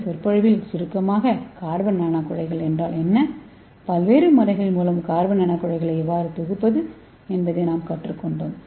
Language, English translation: Tamil, So as a summary of this lecture so we have learnt what is carbon nanotubes and how to synthesis carbon nanotubes by various methods and also we have leant how to functionalize the carbon nanotubes and also various bio applications of this carbon nanotubes